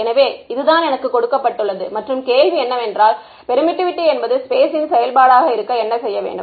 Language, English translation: Tamil, So, this is what is given to me and the question is: what is permittivity as a function of space